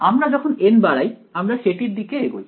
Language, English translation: Bengali, As we increase n we are approaching that